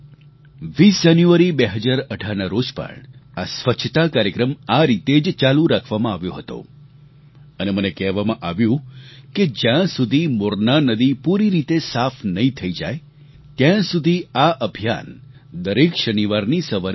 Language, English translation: Gujarati, On January 20 th , 2018, this Sanitation Campaign continued in the same vein and I've been told that this campaign will continue every Saturday morning till the Morna river is completely cleaned